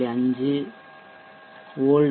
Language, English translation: Tamil, 5 volts at the output